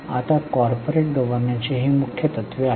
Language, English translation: Marathi, Now these are the main principles of corporate governance